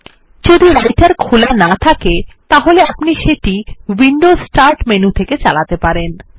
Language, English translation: Bengali, If Writer is not open, we can invoke it from the Windows Start menu